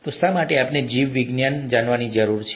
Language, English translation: Gujarati, So, why do we need to know biology